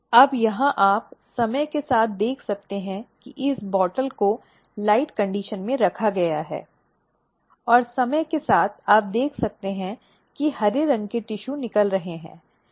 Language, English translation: Hindi, Now, here you can see with time this bottle has been placed under light condition and with time you can see that there are green colored tissue coming out